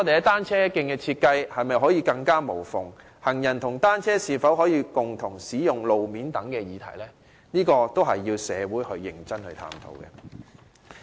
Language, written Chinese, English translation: Cantonese, 單車徑的設計是否可以做到"更無縫"，行人和單車是否可以共用路面等議題，確實需要社會認真探討。, There is indeed a need for the community to seriously explore such issues as whether cycle tracks can be designed in a more seamless manner whether road sharing is possible between pedestrians and bicycles and so on